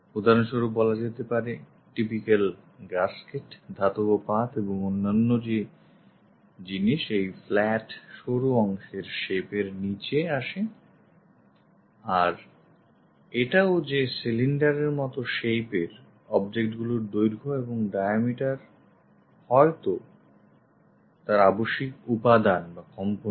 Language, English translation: Bengali, For example, the typical gaskets, sheet metals and other things fall under this flat thin part shapes and also, cylindrical shaped objects perhaps length and diameter are the essential components